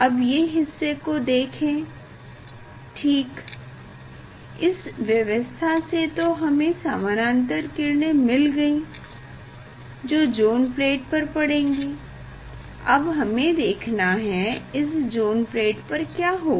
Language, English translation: Hindi, Now this part ok, this arrangement is for parallel rays falling on the, parallel rays falling on the zone plate